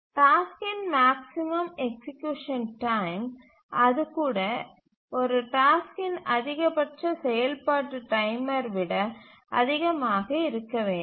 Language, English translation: Tamil, So the maximum execution time of the tasks even that the F should be greater than even the maximum execution time of a task